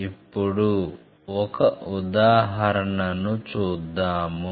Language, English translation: Telugu, Now, let us see one example